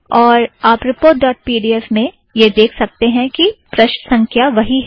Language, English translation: Hindi, And you can see in the report dot pdf, you can see that the page number is still the same